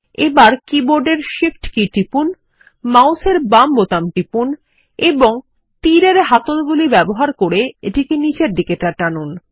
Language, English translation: Bengali, Now, press the Shift key on the keyboard, hold the left mouse button and using the arrows handle, drag it down